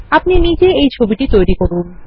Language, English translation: Bengali, Create this picture on your own